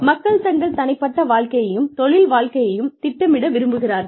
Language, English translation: Tamil, People want to plan their personal lives, and their work lives